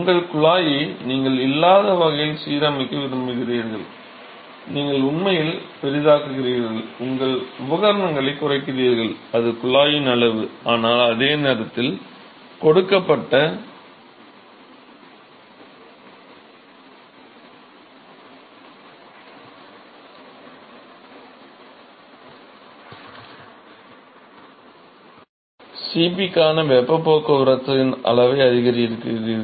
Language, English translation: Tamil, So, you want to align your tube in such a way that you are not, your actually maximize, your minimizing the equipment; that is the tube, size of the tube, but at the same time you maximize the amount of the heat transport for a given Cp